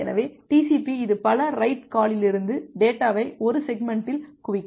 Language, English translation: Tamil, So, TCP it can accumulate data from several write calls into one segment